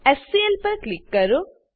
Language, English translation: Gujarati, Click on HCl